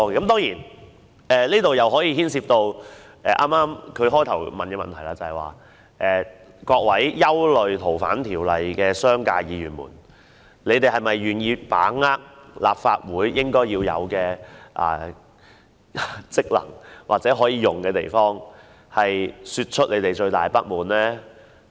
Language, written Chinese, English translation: Cantonese, 當然，這點涉及他最初提出的問題：各位憂慮《逃犯條例》的商界議員，你們是否願意把握立法會應有的職能及權力，表達你們最大的不滿？, Of course this relates to the question he initially raised Are you Members representing the business sector who have worries about the Ordinance willing to express your greatest dissatisfaction by exercising the functions assigned to and powers conferred upon the Legislative Council?